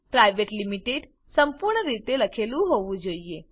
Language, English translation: Gujarati, Private Limited should be written in full